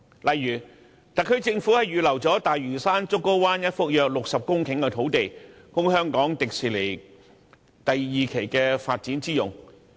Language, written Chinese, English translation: Cantonese, 例如特區政府預留了大嶼山竹篙灣一幅約60公頃的土地，供香港迪士尼樂園第二期發展之用。, For example the SAR Government has reserved a site measuring some 60 hectares at Pennys Bay on Lantau Island for the development of Hong Kong Disneyland HKDL Phase 2